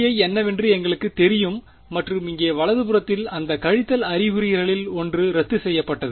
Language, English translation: Tamil, We know what E i is and the entire right hand side over here one of those minus signs got cancelled right